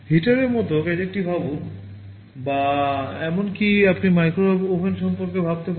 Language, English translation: Bengali, Think of a gadget like heater or even you can think of microwave oven